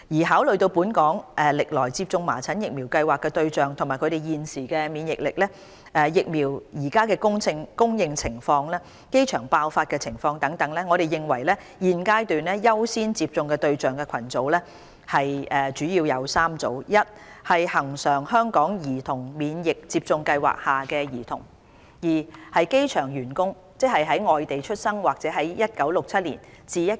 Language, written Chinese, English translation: Cantonese, 考慮到本港歷來接種麻疹疫苗計劃的對象及他們現時的免疫力，疫苗的供應情況，機場爆發的情況等，我們認為現階段優先接種的對象主要為3個群組： 1恆常香港兒童免疫接種計劃下的兒童； 2機場員工；及3醫院管理局的醫護人員。, Taken into consideration the target groups of the measles vaccination programme over the years the current immunity of the local population the supply of vaccines and the situation of measles infection at the airport etc we consider at this stage that there are three priority groups for measles vaccination which are 1 children under the routine HKCIP; and 2 staff of the airport who were either non - local born or born in Hong Kong from 1967 to 1984 and have not received two doses of measles vaccination; and have not been infected with measles before; and 3 health care staff of the Hospital Authority HA